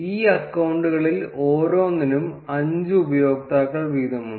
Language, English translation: Malayalam, Each of these set of accounts have five users each